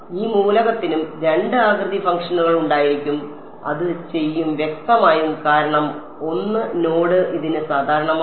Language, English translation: Malayalam, This element will also have two shape functions and it will; obviously, since 1 node is common to it right